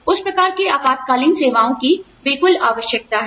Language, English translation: Hindi, So, you know, those kinds of emergency services are absolutely required